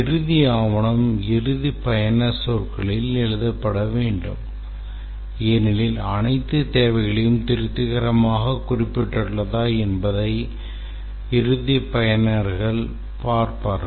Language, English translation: Tamil, The requirement document should be written in end user terminology because it is the end users who will see whether all the requirements have been satisfactorily represented